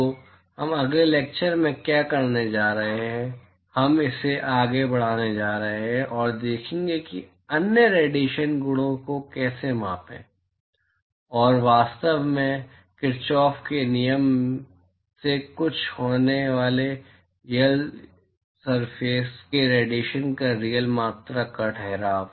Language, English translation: Hindi, So, what we are going to do in the next lecture is we are going to take this forward and see how to quantify other radiation properties, and really the actual quantification of radiation of real surface starting from Kirchoff’s law